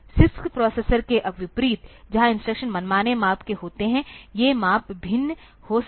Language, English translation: Hindi, Unlike the CISC processors, where the instructions are of arbitrary sizes, these the sizes may vary